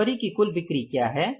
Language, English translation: Hindi, So, what are the total sales for the February